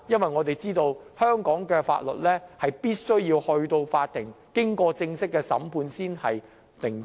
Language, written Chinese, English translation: Cantonese, 眾所周知，根據香港法律，任何案件必須經法庭正式審判才算定罪。, As we all know under the laws of Hong Kong conviction shall only come after formal court trial of a case